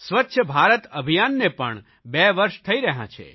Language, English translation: Gujarati, Swachchh Bharat Mission is completing two years on this day